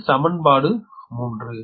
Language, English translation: Tamil, this is equation three